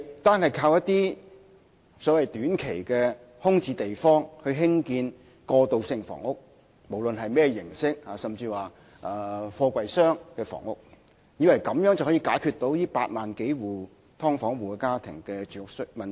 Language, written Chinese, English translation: Cantonese, 單靠在一些短期空置用地興建過渡性房屋，無論是甚麼形式的房屋，甚至是貨櫃箱的房屋，根本無法解決8萬多"劏房戶"的住屋問題。, There is no way that transitional housing built on short - term vacant sites alone irrespective of the form of housing even container - type housing can meet the housing needs of all these 80 000 - odd households of subdivided units